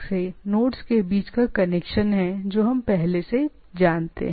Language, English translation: Hindi, So, the nodes and the errors or the connection between the nodes from the communication network that we already we known